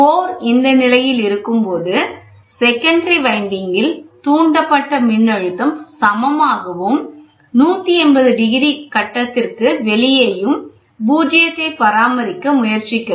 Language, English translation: Tamil, When the core is in this position, the induced voltage in the secondary winding are equal and 180 degrees out of phase which tries to maintain zero